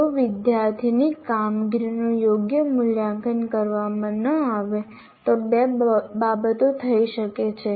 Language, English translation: Gujarati, And the other one is, if the student performance is not evaluated properly, two things can happen